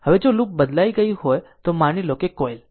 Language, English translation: Gujarati, Now, if the loop is replaced suppose by a coil